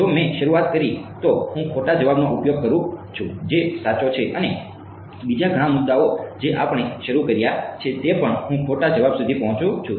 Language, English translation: Gujarati, If I started 0 8 then I use the wrong answer right that is correct and many other points we have started 8 comma 1 also I reach the wrong answer